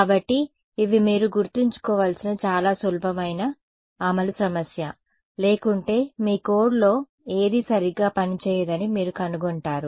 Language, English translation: Telugu, So, these are some of the very simple implementation issue you should keep in mind otherwise you will find that nothing works in your code all right